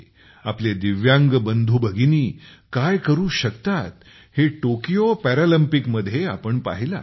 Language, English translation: Marathi, At the Tokyo Paralympics we have seen what our Divyang brothers and sisters can achieve